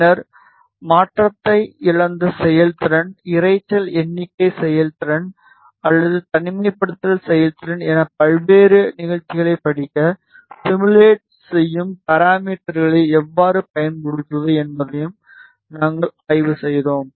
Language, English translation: Tamil, And then, we also studied how to use the simulation parameters to study various performances which is conversion lost performance, noise figure performance or isolation performance